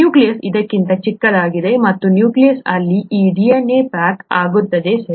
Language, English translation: Kannada, The nucleus is much smaller than that and in the nucleus this DNA gets packaged, right